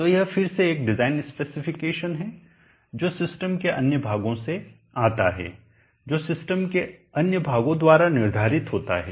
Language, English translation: Hindi, So this again is a design speck coming from the other portions of the systems determined by the other portions of the systems